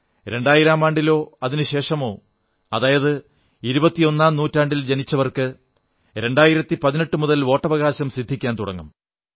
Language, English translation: Malayalam, People born in the year 2000 or later; those born in the 21st century will gradually begin to become eligible voters from the 1st of January, 2018